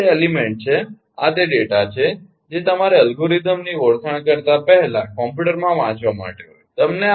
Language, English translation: Gujarati, these are the element, these are the data you have to read in the computer rather than identification algorithm